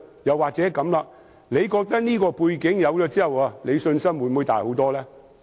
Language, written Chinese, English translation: Cantonese, 又或者局長會否覺得，有了這項背景，信心會大很多呢？, Or perhaps given this piece of background information will the Secretary feel much more confident?